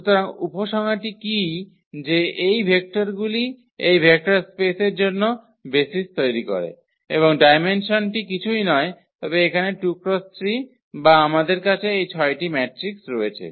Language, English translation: Bengali, So, what is the conclusion that these vectors form a basis for the this vector space and the dimension is nothing, but the product here 2 by 3 or we have this 6 matrices